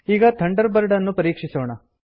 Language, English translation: Kannada, Lets check Thunderbird now